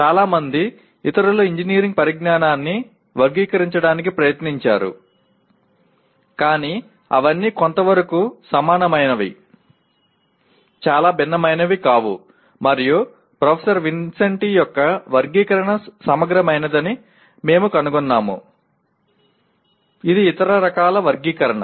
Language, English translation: Telugu, Many others also have attempted through categorize engineering knowledge but all of them are somewhat similar, not very different and we find that Professor Vincenti’s classification is comprehensive, is kind of subsumes other types of categorization